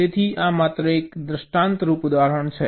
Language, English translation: Gujarati, so this just an example, illustrative example